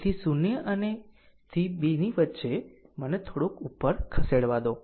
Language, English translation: Gujarati, So, in between 0 to 2 right let me move little bit up